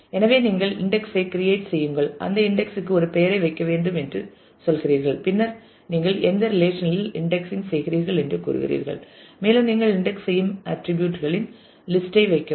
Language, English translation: Tamil, So, you say create index put a name for that index and then you say on which relation are you indexing and put the list of attributes on which you are indexing